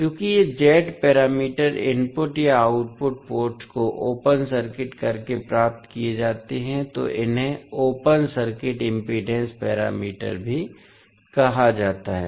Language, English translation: Hindi, Since these Z parameters are obtained by open circuiting either input or output ports, they are also called as open circuit impedance parameters